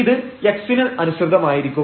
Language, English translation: Malayalam, So, let us assume that x is 0